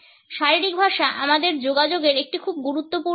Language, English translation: Bengali, Body language is a very significant aspect of our communication